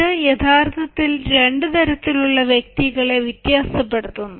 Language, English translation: Malayalam, this is actually differentiate, the two types of person